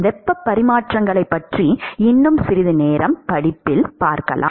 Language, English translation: Tamil, Will see a little bit more about heat exchangers later down in the course